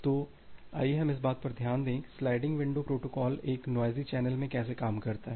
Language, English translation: Hindi, So, let us look into that how the sliding window protocol work in a noisy channel